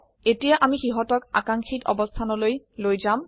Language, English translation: Assamese, Now we will move them to the desired location